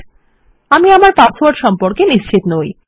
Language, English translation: Bengali, I am not sure about my password